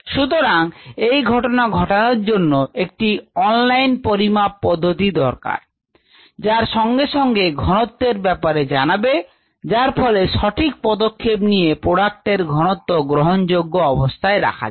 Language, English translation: Bengali, so to avoid that, they definitely needed an online measurement which would immediately tell them what their concentration was so that they could take a appropriate action to maintain the product levels at ah acceptable levels